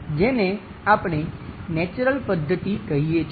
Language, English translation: Gujarati, This is what we call natural method